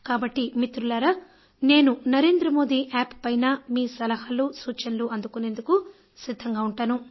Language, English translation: Telugu, So I will wait dear friends for your suggestions on the youth festival on the "Narendra Modi App"